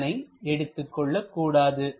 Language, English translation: Tamil, So, this one should not be used